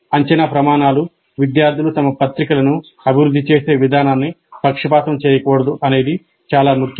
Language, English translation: Telugu, So, it is very, very important that the assessment criteria should not bias the way students develop their journals